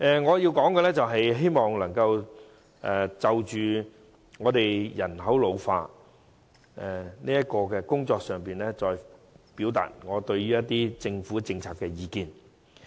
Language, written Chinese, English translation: Cantonese, 我現在會就人口老化的工作，表達我對有關政府政策的意見。, I will now express my views on the Governments policies on addressing the ageing population issues